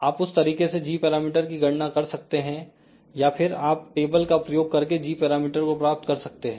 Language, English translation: Hindi, You can calculate g parameters using this particular expression or you can use the table to find out the g parameter